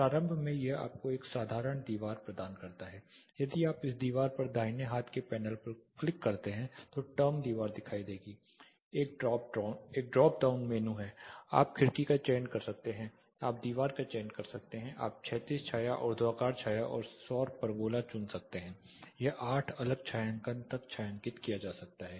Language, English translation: Hindi, Initially it gives you a simple wall, if you click on this wall the right hand panel the term wall will appear there is a drop down, you can choose the window, you can choose the wall, you can choose the horizontal shade vertical shade solar pergola it can be detached shading up to eight detached shadings can be provided